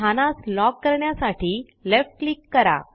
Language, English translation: Marathi, Left click to lock the position